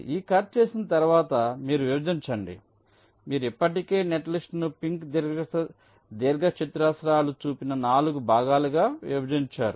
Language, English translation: Telugu, you have already divided the netlist into four parts, shown by the pink rectangles